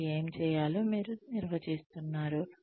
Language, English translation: Telugu, You are defining, what they need to do